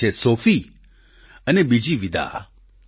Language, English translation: Gujarati, One is Sophie and the other Vida